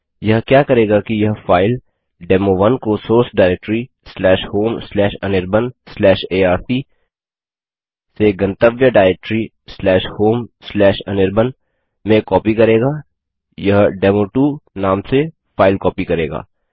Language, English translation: Hindi, What this will do is that it will copy the file demo1 from source diretory /home/anirban/arc/ to the destination directory /home/anirban it will copy to a file name demo2